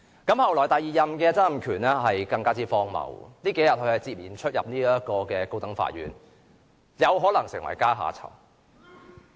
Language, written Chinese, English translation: Cantonese, 後來第二任的曾蔭權便更為荒謬，這數天他不斷進出高等法院，有可能成為階下囚。, The second Chief Executive Donald TSANG was even more outrageous in behaviour . These few days he has been appearing before the High Court and he may well face imprisonment